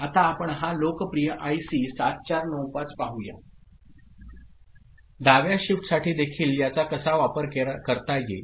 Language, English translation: Marathi, Now, let us see this popular IC 7495 how it can be used for left shift also ok